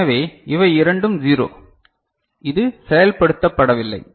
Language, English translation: Tamil, So, both of them are say 0 these this is not invoked